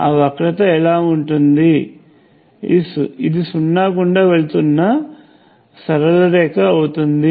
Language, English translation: Telugu, What will that curve look like, it will be a straight line passing through the origin